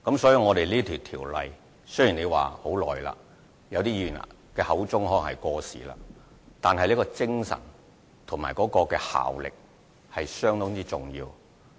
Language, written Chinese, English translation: Cantonese, 雖然《賭博條例》在很多年前制定，部分議員亦認為已經過時，但其精神和效力是相當重要的。, Although the Gambling Ordinance was enacted many years ago and some Members considered it outdated its spirit and effectiveness are rather important